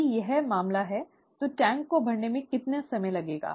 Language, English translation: Hindi, If this is the case, how long would it take to fill the tank